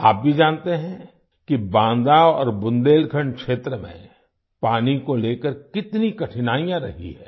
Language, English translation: Hindi, You too know that there have always been hardships regarding water in Banda and Bundelkhand regions